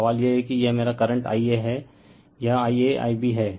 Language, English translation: Hindi, So, question is that , that this is my current I a this is I a I b